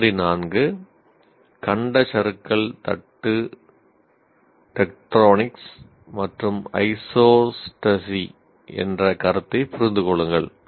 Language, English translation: Tamil, Sample 4 understand the concept of continental drift plate tectonics and isostasy